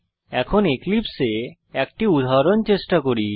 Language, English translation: Bengali, Now, let us try out an example in Eclipse